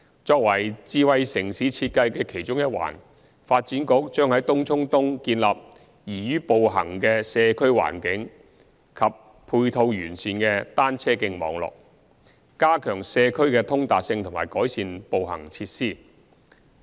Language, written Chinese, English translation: Cantonese, 作為智慧城市設計的其中一環，發展局將在東涌東建立宜於步行的社區環境及配套完善的單車徑網絡，加強社區的通達性和改善步行設施。, In line with smart city design the Development Bureau will provide a walkable environment and comprehensive cycle track network to enhance accessibility within the communal area and improve walking facilities